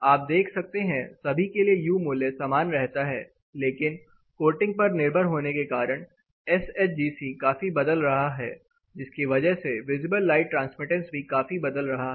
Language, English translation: Hindi, You can see for all of them the U value remain the same while the SHGC considerably varies depending on the coating; depending on this the visible light transmittance also considerably varies